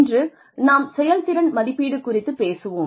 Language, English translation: Tamil, Today, we will talk about, performance evaluation